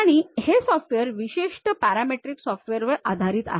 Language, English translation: Marathi, And this software is basically based on parametric featured based model